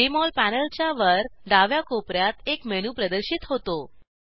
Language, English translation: Marathi, A menu appears on the top left corner of the Jmol panel